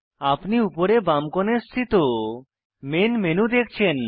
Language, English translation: Bengali, You can see the main menu on the top left hand side corner